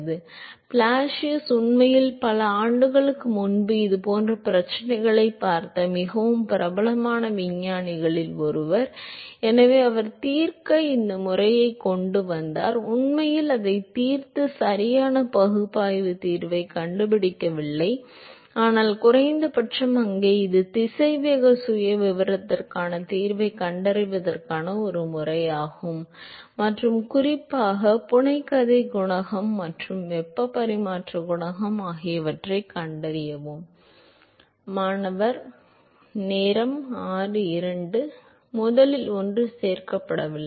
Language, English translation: Tamil, So, Blasius is actually one of the very very well known scientist who looked at these kinds of problems many many years ago and so, he came up with this method to solve, the not actually solving and finding exact analytical solution, but at least there is a method to find the solution for the velocity profile and the and particularly to find the fiction coefficient and the heat transfer coefficient